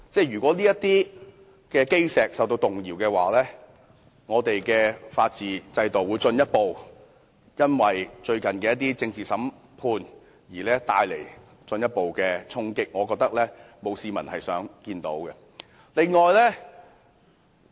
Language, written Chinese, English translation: Cantonese, 如果這些基石受到動搖，我們的法治制度亦將會繼最近的政治審判後，再次受到進一步衝擊，我覺得這並不是市民想看到的。, If these cornerstones are shaken rule of law in Hong Kong will be challenged again following the recent political trial . This is not what the public would like to see